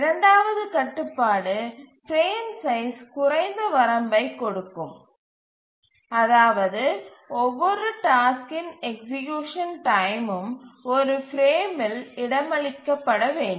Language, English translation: Tamil, The second constraint will put a lower bound on the frame size, which is that the execution time of each task must be accommodated in one frame